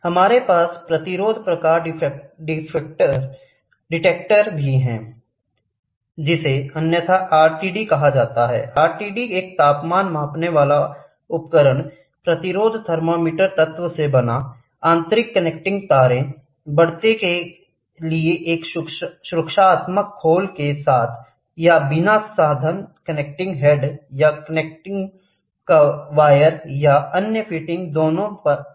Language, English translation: Hindi, We also have resistance type detector which is otherwise called as RTD, RTD is a temperature measuring device composed of resistance thermometer element, internal connecting wire, a protective shell with or without means for mounting a connecting head, or connecting wire or other fittings, on both